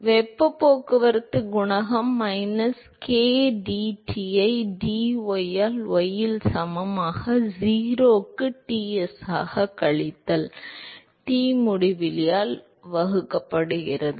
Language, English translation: Tamil, So, the heat transport coefficient is minus k d T by dy at y equal to 0 divided by Ts minus Tinfinity